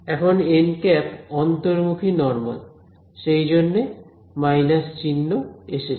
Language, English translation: Bengali, So, n is the inward normal that is why there is minus sign